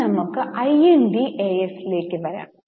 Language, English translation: Malayalam, Now we will come to INDS